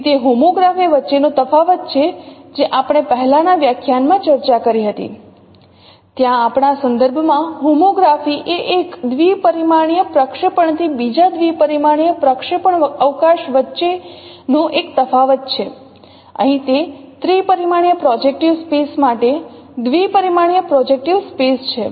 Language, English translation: Gujarati, So that is the difference between homography, what we discussed in earlier lectures, where a homography was defined in our context as a mapping from a two dimensional projective space to another two dimensional projective space